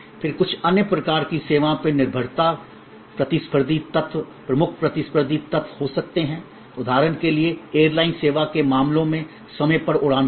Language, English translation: Hindi, Then in some other kinds of services dependability can be the competitive element, key competitive element like for example, on time flight in cases of airlines service